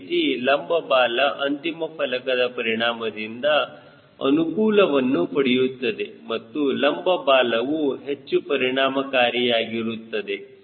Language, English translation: Kannada, similarly, vertical tail also gets advantage of end plate effects and in turn you say vertical tail also becomes very effective